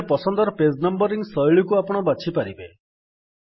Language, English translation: Odia, Here you can choose the page numbering style that you prefer